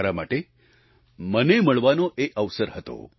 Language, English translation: Gujarati, For me, it was an opportunity to meet myself